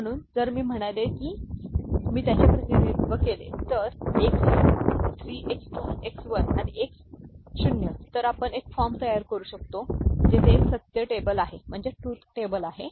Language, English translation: Marathi, So, if I say if I represent them as X 3, X 2, X 1 and X naught, right we can form a form a have a truth table where this is X 3